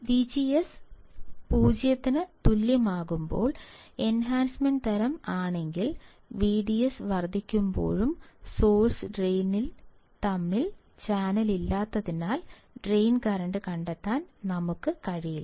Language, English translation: Malayalam, But in case of enhancement type when V G S equals to 0, even on increasing V D S we were not able to find any drain current because there was no channel between source and drain